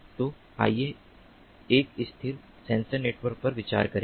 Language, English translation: Hindi, so let us consider a stationary sensor network